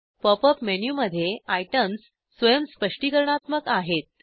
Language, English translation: Marathi, The items in the Pop up menu are self explanatory